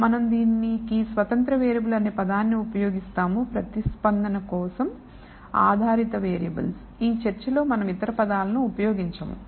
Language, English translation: Telugu, We will use the term independent variable for this and dependent variables for the response we will not use the other terms in this talk